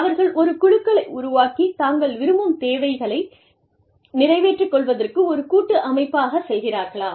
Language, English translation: Tamil, Do they join, with make groups, and go as a collective body, to seek the needs, that they desire